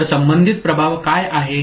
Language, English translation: Marathi, So, what is the corresponding effect